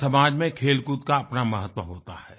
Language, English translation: Hindi, Sports has its own significance in every society